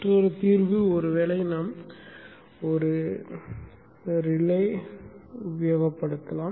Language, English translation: Tamil, Another solution is probably we could use a relay